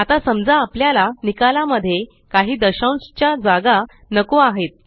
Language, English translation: Marathi, Now suppose we dont want any decimal places in our result